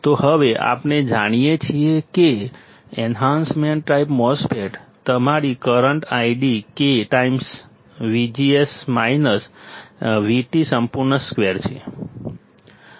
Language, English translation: Gujarati, So, now, we know that enhancement type MOSFET, your current id is K times V G S minus V T whole square